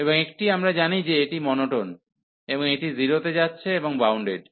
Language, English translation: Bengali, And one we know that this is monotone, and this is bounded also approaching to 0